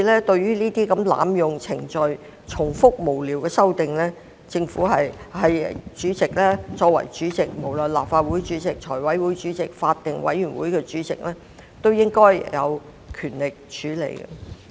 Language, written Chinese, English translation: Cantonese, 對於這類濫用程序、重複無聊的修正案，作為主席，無論是立法會主席、財委會主席還是法案委員會主席，均應有權力作出處理。, Proposing such repetitive and frivolous amendments is nothing but a gross abuse of procedures and as the Member presiding at the relevant meeting be it a Council meeting FC meeting or bills committee meeting the President or the Chairman should be conferred with the necessary power to deal with the matter